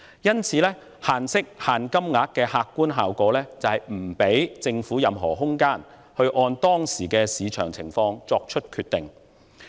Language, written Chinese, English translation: Cantonese, 因此，就息率及額度設限的客觀效果，就是不給予政府任何空間，按當時的市場情況作出決定。, And so the objective consequence of imposing restrictions on interest rate and size will be that the Government will not have any room to made decisions according to the prevailing market conditions